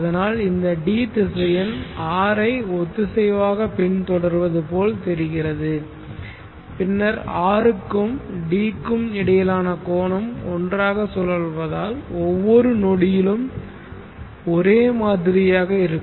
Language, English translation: Tamil, T so it looks as though D is following this vector R synchronously then the angle between R and D will be same at every instant of time though both are rotating